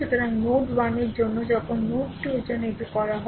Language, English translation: Bengali, So, for node 1 this is done right now for node 2 ah for node 2